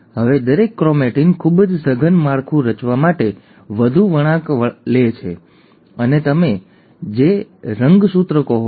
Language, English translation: Gujarati, Now each chromatin further twists and folds to form a very compact structure and that is what you call as chromosome